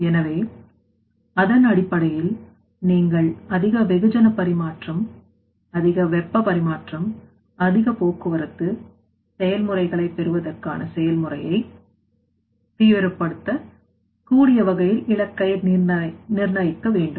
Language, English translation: Tamil, So, based on that you have to set target in such way that you can intensify the process to get the more mass transfer, more heat transfer, more you know that you can say transport processes there